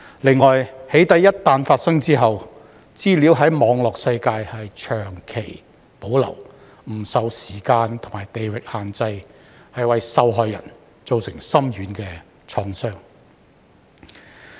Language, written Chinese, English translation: Cantonese, 此外，"起底"一旦發生後，資料在網絡世界長期保留，不受時間或地域限制，為受害人造成深遠創傷。, In addition once doxxing has occurred the data is retained in the cyber world for a long time without time or geographical restrictions thus causing far - reaching trauma to the victims